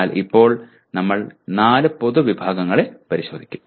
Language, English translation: Malayalam, But right now, we will look at the four general categories